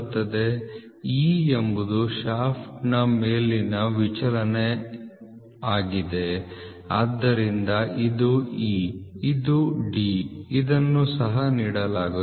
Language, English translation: Kannada, So, where is this coming from e upper deviation of the shaft so this is e this, so this is e this is d this is also given